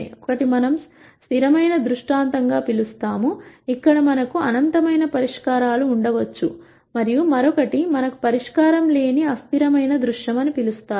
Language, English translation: Telugu, One is what we call as a consistent scenario, where we could have in nite solutions, and the other one is what is called the inconsistent scenario where we might have no solution